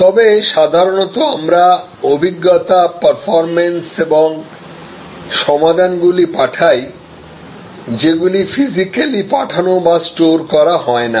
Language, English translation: Bengali, But, generally we are moving experiences, performances and solutions which are not physically shipped and stored